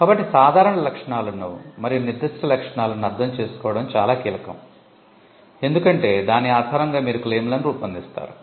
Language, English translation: Telugu, So, understanding the general features and the specific features will be critical, because based on that you will be using that input and drafting your claim